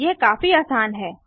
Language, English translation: Hindi, This is simple too